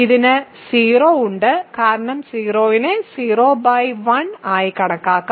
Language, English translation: Malayalam, It also has 0 right because 0 can be thought of as 0 by 1